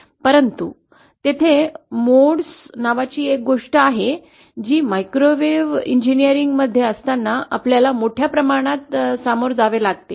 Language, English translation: Marathi, But there is something called modes, which we have to deal extensively when we are in microwave engineering